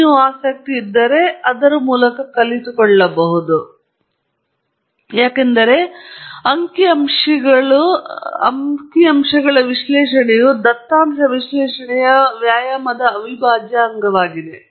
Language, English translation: Kannada, And if you are interested, you should sit through it because it is an integral part of every statistical data analysis exercise